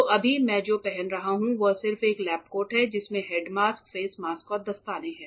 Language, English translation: Hindi, So, right now what I am wearing is just a lab coat with a head mask, face mask, and gloves